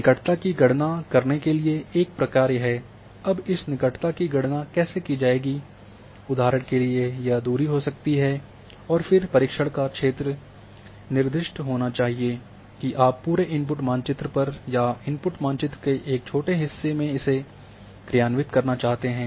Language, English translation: Hindi, A function to calculate proximity how this proximity will be calculated for example may be a distance and then the area of interest should be specified whether you want to perform on a entire input map or in a small part of input map